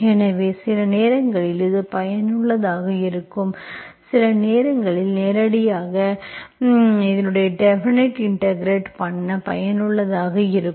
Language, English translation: Tamil, So sometimes it is useful, sometimes directly, indefinite integration is useful, okay